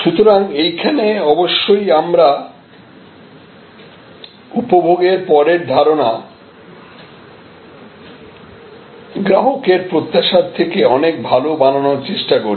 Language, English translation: Bengali, So, in this obviously we are trying to have our post consumption perception much better than customer expectation